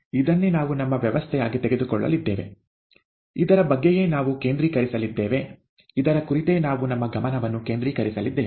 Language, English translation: Kannada, This is what we are going to take as our system, this is what we are going to concentrate on, this is what we are going to focus our attention on